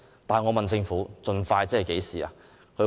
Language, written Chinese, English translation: Cantonese, 但我問政府盡快的意思是何時？, I asked the Government to give me an exact timing instead